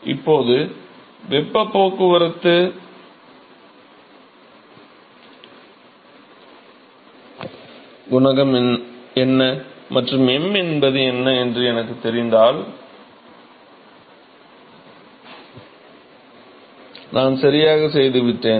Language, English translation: Tamil, Now if I know what is the, what is the heat transport coefficient and what is m, I am done right